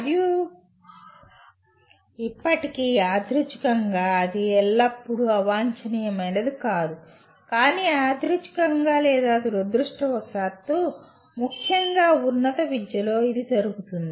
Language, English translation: Telugu, And still incidentally, it is not always undesirable, but incidentally or unfortunately the especially at higher education this is what happens